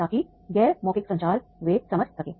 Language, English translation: Hindi, So that these non verbal communication they can understand